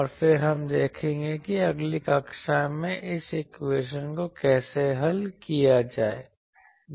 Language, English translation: Hindi, And then we will see how to solve this equation in the next class